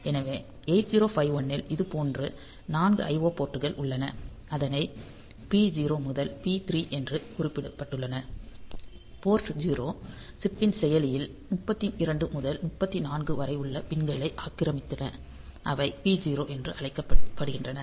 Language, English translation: Tamil, So, in 8051 there are 4 such I O ports marked as P 0 to P 3; port 0, they occupied the pins 32 to 39 of the processor of the chip and they are called P 0